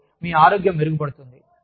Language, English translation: Telugu, And, your health improves